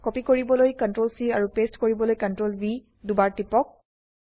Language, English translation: Assamese, Press CTRL + C to copy and CTRL+V twice to paste the structures